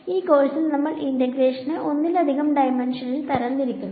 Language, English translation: Malayalam, In this course, we are going to upgrade this integration by parts to multiple dimensions